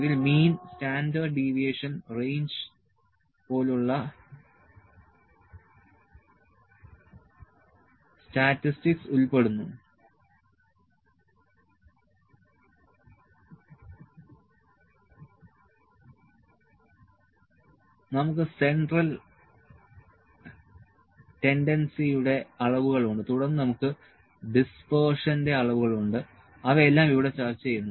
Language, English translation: Malayalam, And this includes statistics such as mean standard deviation range, we have measures of central tendency then we have measures of dispersion, all those things are discussed here